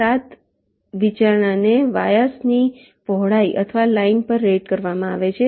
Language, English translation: Gujarati, the seven consideration is rated to the width of the vias or the lines